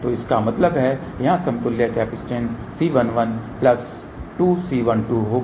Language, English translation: Hindi, So that means, the equivalent capacitance here will be C 1 1 plus 2 C 1 2